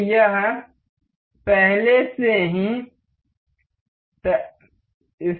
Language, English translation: Hindi, So, this is already fixed